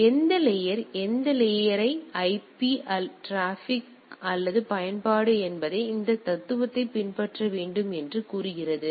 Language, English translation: Tamil, So, any layer any layer say it whether it is IP or transport or application has to follow this philosophy